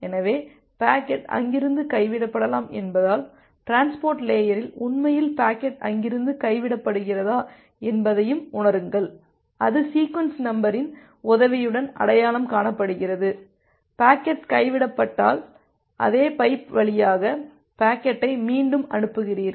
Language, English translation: Tamil, So, because packet may get dropped from there, at the transport layer actually sense that whether the packet is getting dropped from there and if packet is getting dropped, it is identified with the help of that sequence number, if the packet is getting dropped then you retransmit the packet over the same pipe